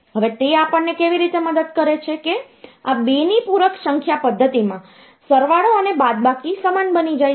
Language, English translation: Gujarati, Now, how does it help us is that, this in 2’s complement number system the addition and subtraction they become similar